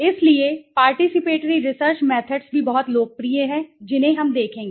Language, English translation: Hindi, So, participatory research methods are also very popular we will see, okay